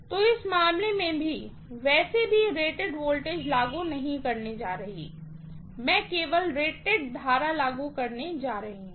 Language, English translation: Hindi, So, in this case I am not going to apply rated voltage anyway, I am going to apply only rated current